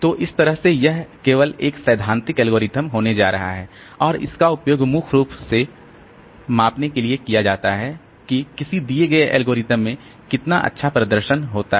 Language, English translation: Hindi, So, that way this is going to be a theoretical algorithm only and it is used mainly for measuring how well a given algorithm performs